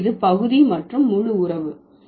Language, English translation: Tamil, So, this is the part and whole relation